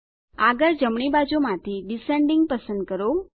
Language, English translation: Gujarati, Next, from the right side, select Descending